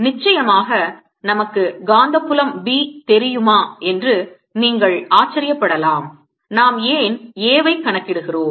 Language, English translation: Tamil, off course, you maybe be wondering: if we know the magnetic field b, why are we calculating a then